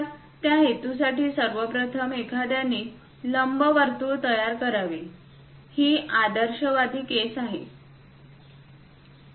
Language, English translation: Marathi, So, for that purpose, first of all, one has to construct an ellipse, this is the idealistic case